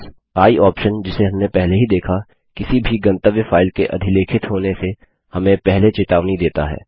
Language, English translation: Hindi, The i option that we have already seen warns us before overwriting any destination file